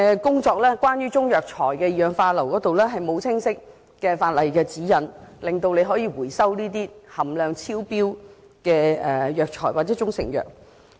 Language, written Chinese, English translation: Cantonese, 關於中藥材的二氧化硫含量，並無清晰的法例指引，說明當局可以收回含量超標的藥材或中成藥。, Regarding the sulphur dioxide content in Chinese herbal medicines there is no explicit guideline in law which states that the authorities can recall herbal medicines or proprietary Chinese medicines exceeding the limit